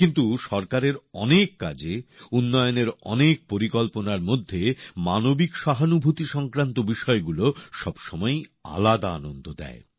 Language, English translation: Bengali, But in the many works of the government, amidst the many schemes of development, things related to human sensitivities always give a different kind of joy